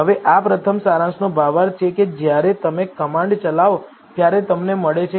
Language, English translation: Gujarati, Now, this is the first gist of summary that you get when you run the command